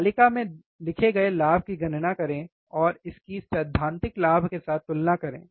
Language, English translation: Hindi, Calculate the gain observed in the table and compare it with the theoretical gain